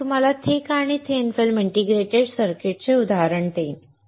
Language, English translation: Marathi, And I will give you an example of both thin film and thick film integrated circuits